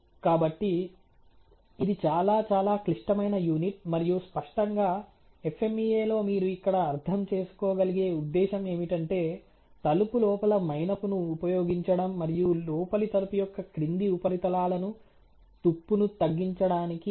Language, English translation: Telugu, So, it is a very, very complex unit and; obviously, the purpose as you can understand here in the FMEA is the application of wax inside the door and to cover the inner door lower surfaces at minimum wax thickness to retire the coregent